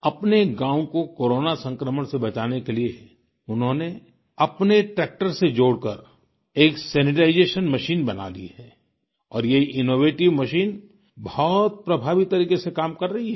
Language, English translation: Hindi, To protect his village from the spread of Corona, he has devised a sanitization machine attached to his tractor and this innovation is performing very effectively